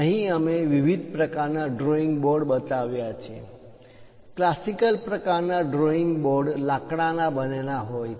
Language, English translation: Gujarati, Here we have shown different variety of drawing boards; the classical one is using a wooden structure